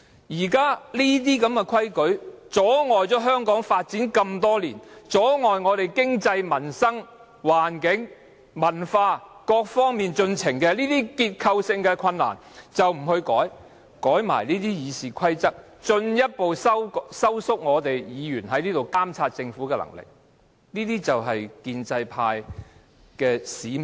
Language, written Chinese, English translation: Cantonese, 那些多年來一直阻礙香港發展，阻礙經濟、民生、環境及文化等各方面進程的結構性問題不去改變，卻偏要修改《議事規則》，進一步收緊議員在議會監察政府的能力，這就是建制派的使命。, Some Members have not made effort to change the structural problems which have for many years hindered the development of the economy the peoples livelihood the environment and the culture of Hong Kong etc . Instead they seek to amend RoP which will further tighten Members power to monitor the work of the Government in the Legislative Council . That is the mission of pro - establishment Members